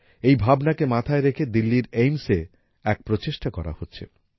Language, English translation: Bengali, With this thought, an effort is also being made in Delhi's AIIMS